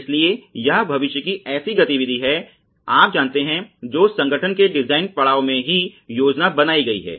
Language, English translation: Hindi, So, this is sort of futuristic you know activity that is being planned at the design stage itself of the organization